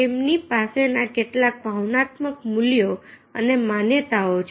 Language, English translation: Gujarati, so these are some of the emotional values and beliefs they have